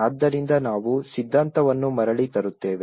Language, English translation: Kannada, So that is where we bring back the theory also